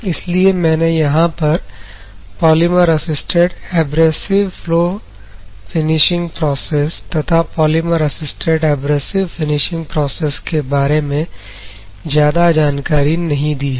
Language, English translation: Hindi, So, that is why I have not touched much upon on this polymer assisted abrasive flow finishing processes or polymer assisted abrasive finishing processes